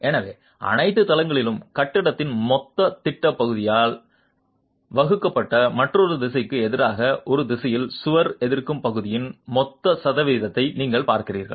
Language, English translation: Tamil, So, looking at total percentage of wall resisting area in one direction versus another direction divided by the total plan area of the building in all the floors